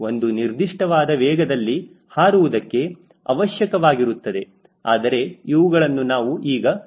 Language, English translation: Kannada, it will have a particular speed to fly, but we will not be doing this